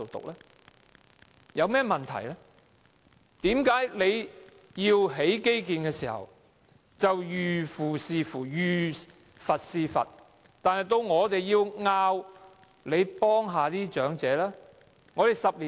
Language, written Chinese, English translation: Cantonese, 為甚麼政府興建基建時，就"遇父弑父，遇佛弑佛"，但卻無視我們提出照顧長者的要求？, Why is the Government so bold and resolute in the construction of infrastructures but indifferent to our request for taking care of the elderly?